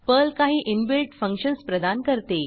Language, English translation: Marathi, Perl provides certain inbuilt functions